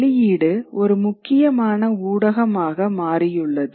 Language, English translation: Tamil, Print becomes an important public sphere